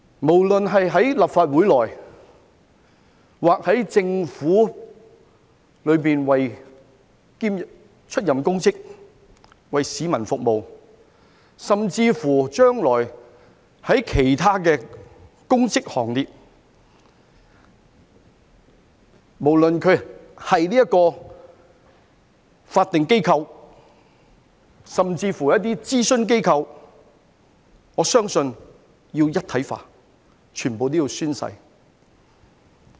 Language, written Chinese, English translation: Cantonese, 無論是在立法會或政府出任公職、為市民服務，甚至將來參與其他公職行列，無論是法定機構甚至諮詢機構，我相信都要一體化，全部都要宣誓。, I believe all those who hold public office in the Legislative Council or in the Government those who serve the public or even those who will participate in other public offices whether in a statutory body or advisory body will be subject to the same treatment . They all will have to take an oath to swear allegiance